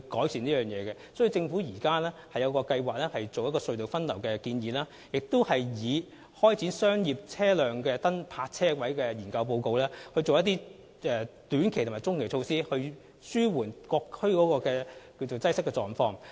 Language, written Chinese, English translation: Cantonese, 所以，政府現時計劃採用隧道分流的建議，並根據商業車輛泊車位的研究報告，採取一些短期及中期措施，以紓緩各區的交通擠塞情況。, Hence the Government is planning to take on board the proposal of diverting the traffic flow of tunnels and having regard to the study report on commercial vehicles parking spaces adopt some short - and medium - term measures to alleviate traffic congestion in various districts